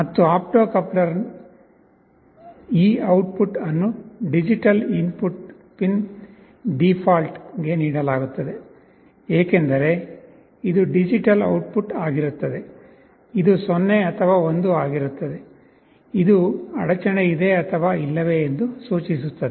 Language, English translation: Kannada, And this output of the opto coupler is fed to digital input pin default, because this will be a digital output, either 0 or 1, indicating an interruption or no interruption